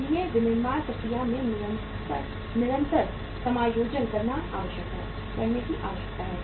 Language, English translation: Hindi, So the continuous adjustment in the manufacturing process is required to be made